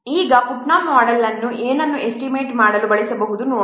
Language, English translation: Kannada, Now let's see Putnam's model can be used to estimate what